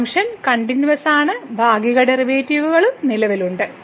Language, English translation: Malayalam, The function is continuous and also partial derivatives exist